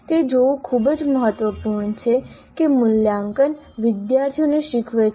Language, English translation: Gujarati, And it's very important to see that assessment drives student learning